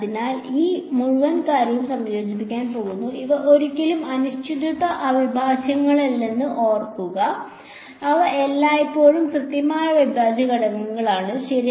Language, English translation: Malayalam, So, I am going to integrate this whole thing ok, remember these are never indefinite integrals; these are always definite integrals ok